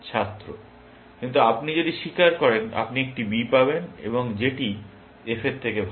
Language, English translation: Bengali, (), but if you confess, you will get a B, and which is better than F